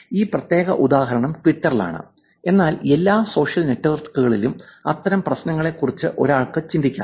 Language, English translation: Malayalam, This particular example is on Twitter, but one could think of such problems being on all social networks also